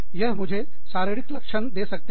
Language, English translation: Hindi, That can give me, physiological symptoms